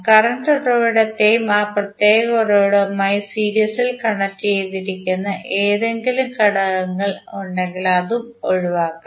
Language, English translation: Malayalam, You have to exclude the current source and any element connected in series with that particular source